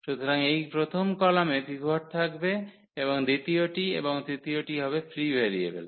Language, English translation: Bengali, So, this first column will have pivot and the second and the third one will be the free variables